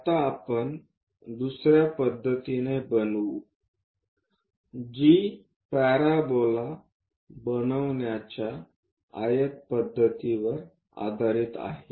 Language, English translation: Marathi, Now, we will go on to construct a second method, which is based on rectangle method for parabola construction